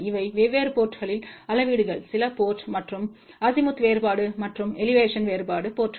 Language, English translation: Tamil, And these are the measurements done at different ports some port and Azimuth difference and Elevation difference ports